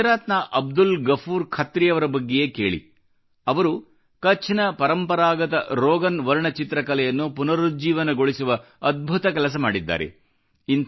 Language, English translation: Kannada, Take the case of Abdul Ghafoor Khatri of Gujarat, whohas done an amazing job of reviving the traditional Rogan painting form of Kutch